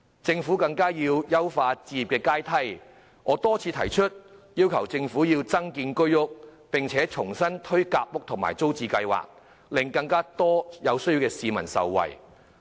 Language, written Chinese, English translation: Cantonese, 政府亦應優化置業階梯，一如我曾多次提出，增建居屋並重新推行夾心階層住屋計劃和租者置其屋計劃，令更多有需要市民受惠。, The Government should also improve the home acquisition ladder . As I have repeatedly proposed more HOS flats should be constructed and the Sandwich Class Housing Scheme and the Tenants Purchase Scheme should be re - launched to benefit more people in need